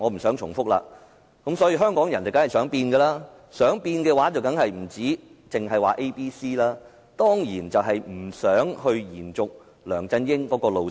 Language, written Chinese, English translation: Cantonese, 所以，香港人當然想改變，而想改變的話，當然不單只是 Anyone but CY， 當然是不想延續梁振英路線。, Of course Hong Kong people do want a change but this does not mean anyone but CY only as the people certainly do not want a rerun of LEUNG Chun - yings course